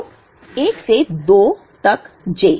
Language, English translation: Hindi, So, j summed from 1 to 2